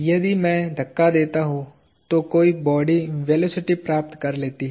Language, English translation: Hindi, If I push, an object acquires velocity